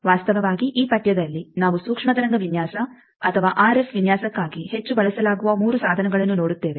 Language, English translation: Kannada, Actually, in this course we will be seeing 3 tools which are heavily used for microwave design or RF design